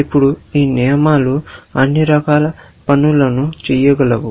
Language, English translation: Telugu, Now, these rules can do all kind of things